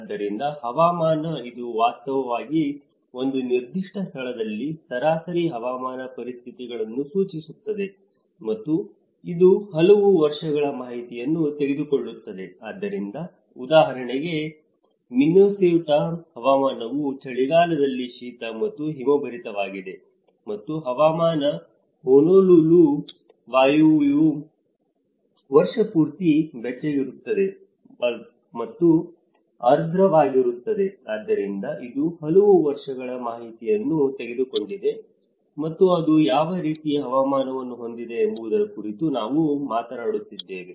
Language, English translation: Kannada, So, climate; it actually refers to the average weather conditions in a particular place, and it takes account of many years, so, for example, a climate in Minnesota is cold and snowy in winter and climate is Honolulu, Hawaii is warm and humid all year long, so which means it has taken the account of many years and that is where we are talking about what kind of climate it have